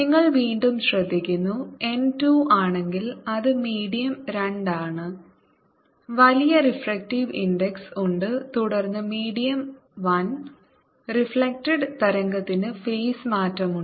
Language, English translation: Malayalam, you notice that if n two, that is a medium two, have larger refractive index then medium one, the reflected wave has a face change